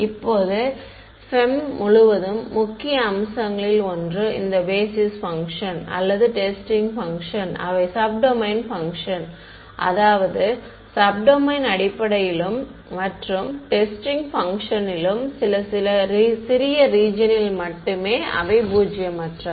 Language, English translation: Tamil, Now, throughout FEM one of the sort of key features is that these basis functions or testing functions they are sub domain functions; means, they are non zero only over some small region so, sub domain basis and testing functions ok